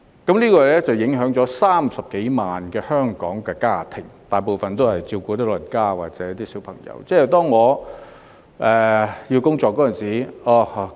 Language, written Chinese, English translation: Cantonese, 這樣會影響全港30多萬個家庭，他們大部分都有長者或小朋友需要照顧。, FDHs holiday entitlement will affect more than 300 000 local families most of which have elderly members or children to take care of